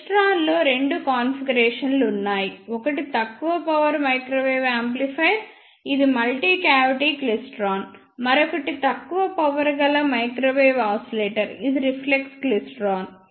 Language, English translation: Telugu, In klystron, there are two configurations one is low power microwave amplifier which is multi cavity klystron; and another one is low power microwave oscillator which is reflex klystron